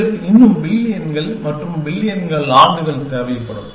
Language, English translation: Tamil, We would still need billions and billions of years